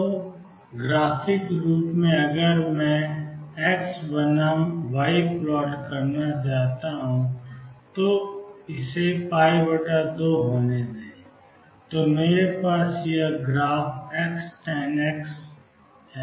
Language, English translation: Hindi, So graphically if I want to plot x versus y that this be pi by 2, then I have this graph as x tangent of x